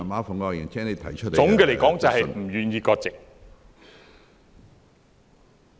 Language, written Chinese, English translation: Cantonese, 總的來說，便是不願意割席。, in short they are unwilling to sever ties